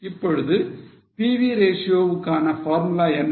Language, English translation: Tamil, Now, what's the formula of PV ratio